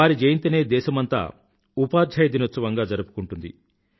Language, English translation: Telugu, His birth anniversary is celebrated as Teacher' Day across the country